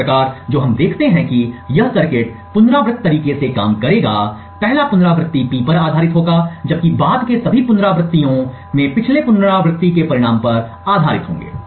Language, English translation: Hindi, Thus, what we see that this circuit would operate on in an iterative manner, the first iteration would be based on P, while all subsequent iterations are based on the result of the previous iteration